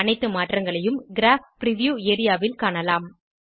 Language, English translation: Tamil, All changes can be seen in the Graph preview area